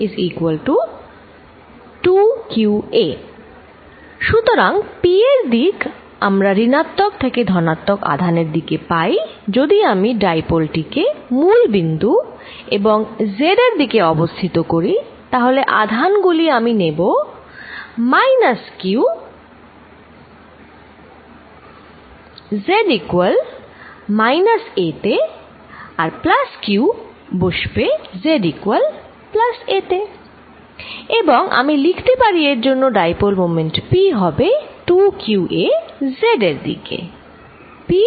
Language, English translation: Bengali, So, p is going to have a direction from negative to positive charge, if I take the dipole to be sitting at the origin and in the z direction, then I will take the charges minus q at minus a at z equals minus a and plus q to be sitting at z equals plus a and I can write the dipole moment p of this to be equal to 2qa in the z direction